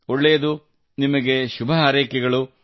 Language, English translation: Kannada, Okay, I wish you all the best